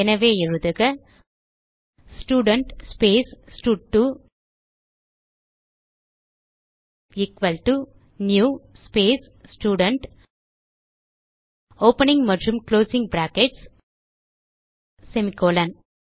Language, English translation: Tamil, So, I will type Student space stud2 equal to new space Student opening and closing brackets semi colon